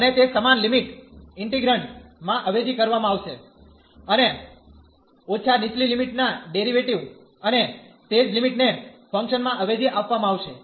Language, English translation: Gujarati, And that same limit will be substituted in the integrand, and minus the lower the derivative of the lower limit and the same limit will be substituted into the function